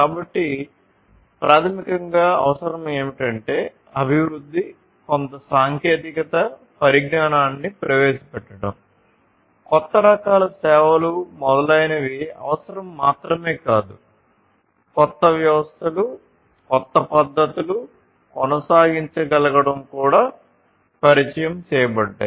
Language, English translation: Telugu, So, basically what is required is not just the development, development in terms of introduction of new technologies, new types of services, and so on, but what is also required is to be able to sustain the newer systems, newer methodologies, newer techniques that are introduced